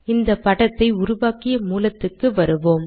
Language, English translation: Tamil, Lets come to the source where we created the figure